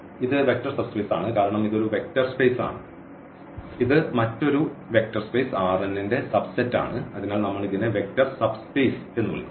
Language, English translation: Malayalam, So, this is for instance vector subspaces because this is a vector space and this is a subset of another vector space R n and therefore, we call this as a vector subspace